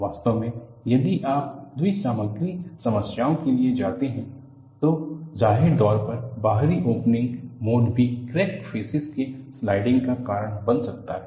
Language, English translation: Hindi, In fact if you go for bi material problems, apparently external opening mode can also cause a sliding of the crack faces